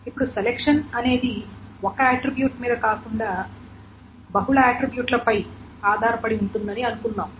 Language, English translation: Telugu, Now, suppose the selection is not on a single attribute but on multiple attributes